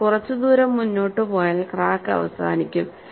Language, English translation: Malayalam, So, after proceeding for some distance, the crack would stop